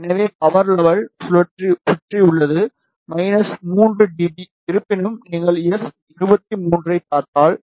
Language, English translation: Tamil, So, the power level is around minus 3 dB and; however, if you see S 23